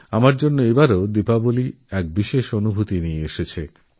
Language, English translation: Bengali, To me, Diwali brought a special experience